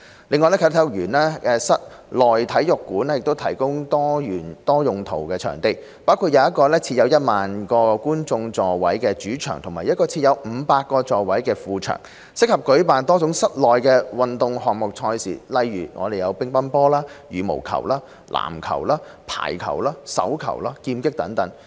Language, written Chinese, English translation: Cantonese, 另外，啟德體育園的室內體育館提供多用途場地，包括一個設有 10,000 個觀眾座位的主場及一個設有500個座位的副場，適合舉辦多種室內運動項目的賽事，如乒乓球、羽毛球、籃球、排球、手球、劍擊等。, Furthermore the Indoor Sports Centre of the Sports Park will comprise a main arena with 10 000 seats and an ancillary sports hall with a seating capacity of up to 500 making it a suitable venue for many indoor sports events such as table tennis badminton basketball volleyball handball and fencing events